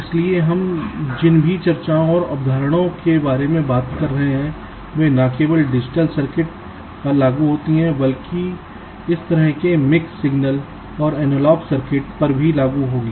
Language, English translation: Hindi, so whatever discussions and concepts we would be talking about, they would apply not only to digital circuits but also to this kind of mix signal and analog circuits as well